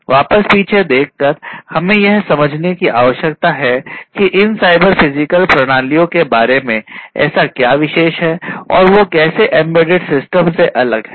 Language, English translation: Hindi, So, going back so, we need to understand that what is so, special about these cyber physical systems and how they differ from the embedded systems in general, all right